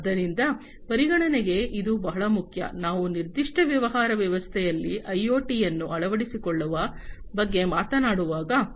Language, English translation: Kannada, So, this is very important for consideration, when we are talking about the adoption of IoT in a particular business setting